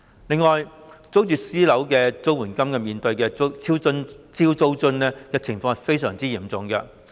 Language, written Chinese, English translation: Cantonese, 此外，租住私樓的綜援戶面對的"超租津"情況也相當嚴重。, In addition the situation of CSSA households paying actual rent for private residential units exceeding maximum rent allowance is also quite serious